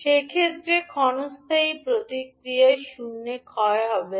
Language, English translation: Bengali, In that case transient response will not decay to zero